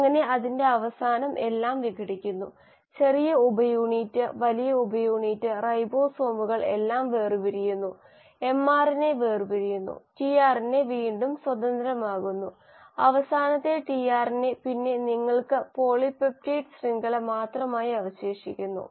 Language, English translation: Malayalam, So at the end of it everything gets dissociated, the small subunit, the large subunit, the ribosomes come apart, the mRNA comes apart, the tRNA becomes free again, the last tRNA and then you are left with just the polypeptide chain